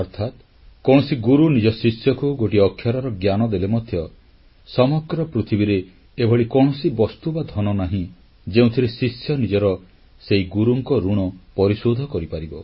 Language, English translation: Odia, Thereby meaning, when a guru imparts even an iota of knowledge to the student, there is no material or wealth on the entire earth that the student can make use of, to repay the guru